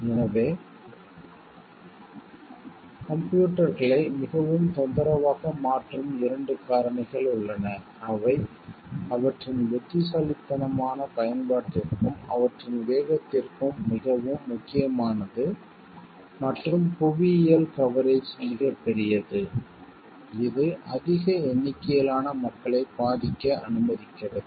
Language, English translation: Tamil, So, there are two factors which makes computers very troublesome and which like makes it is very important for their wise usage and their speed and like geographical coverage is huge which talks of which allows large number of people to be victimized